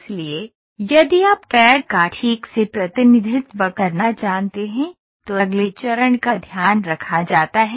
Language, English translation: Hindi, So, if you know to represent CAD properly, then the next step is taken care